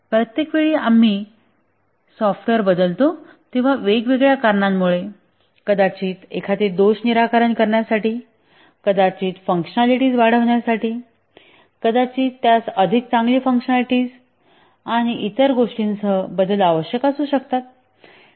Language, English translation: Marathi, Each time we change a software, the change may be required due to various reasons, may be to fix a bug, may be to enhance the functionality, maybe to make it have better performance and so on